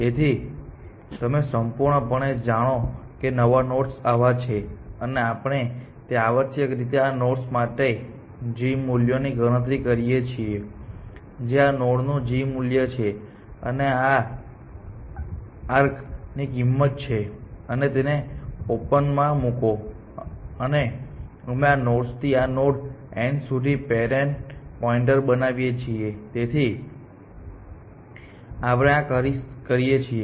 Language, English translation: Gujarati, So, completely know new nodes are like this, and what we do is essentially compute the g values for these nodes, which is the g value of this node plus the cost of this arc essentially and put it into open; and we markup parent pointer from these nodes to this node n; so, these steps we do